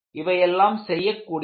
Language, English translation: Tamil, These are all doable